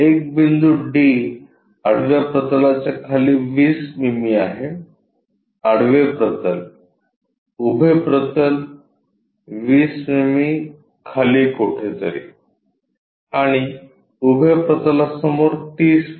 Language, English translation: Marathi, There is a point D 20 mm below horizontal plane; horizontal plane, vertical plane 20 mm below means somewhere here and 30 mm in front of vertical